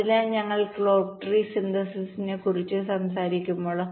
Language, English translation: Malayalam, so when we talk about clock tree synthesis, so it is performed in two steps